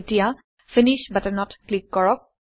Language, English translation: Assamese, Now lets click on the Finish button